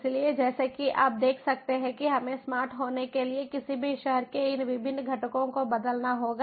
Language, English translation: Hindi, so, as you can see that we have to transform all of these different components of any city to be smart